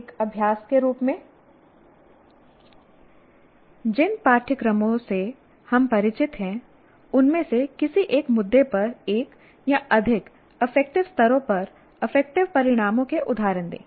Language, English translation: Hindi, Now, as a practice, give examples of affective outcomes at one or more affective levels on an issue from one of the courses you are familiar with